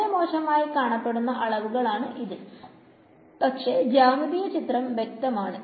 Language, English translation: Malayalam, So, many of ugly looking quantities, but the geometric picture is very clear